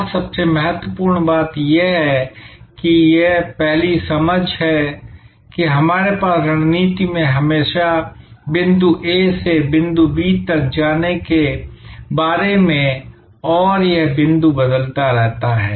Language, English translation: Hindi, And most importantly this is the first understanding that we must have that in strategy it is always about going from point A to point B and this point changes, keeps on shifting